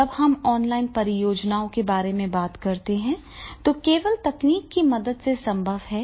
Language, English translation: Hindi, So therefore when we talk about doing the online projects that is possible only through the help of technology